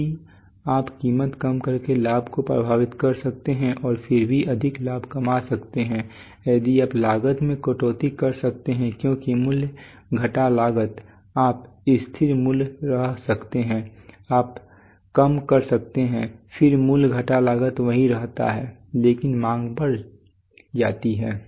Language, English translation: Hindi, So you can affect demand by cutting down price and still make more profit if you can cut down cost because price minus cost you can remain constant price you can reduce then price minus cost remains the same but demand increases